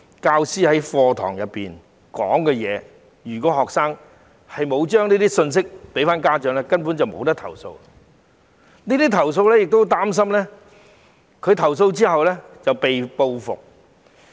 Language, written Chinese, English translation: Cantonese, 教師在課堂上所說的話，如果學生沒有把這些信息帶回給家長，他們根本無從投訴，而且亦擔心投訴後會被報復。, Regarding what teachers have said during the lessons parents would have no way to file a complaint if the students do not convey those messages to them and they are also worried about reprisal after filing a complaint